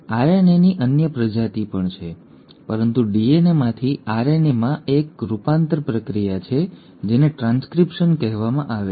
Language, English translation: Gujarati, There are other species of RNA as well, but this conversion from DNA to RNA is process one which is called as transcription